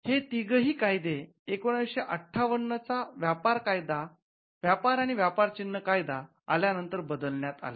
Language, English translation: Marathi, Now, all these 3 acts or provisions were replaced when the trade and merchandise marks act was enacted in 1958